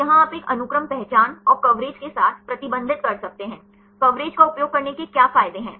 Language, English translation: Hindi, So, here you can restrict with a sequence identity plus the coverage; what is the advantages of using coverage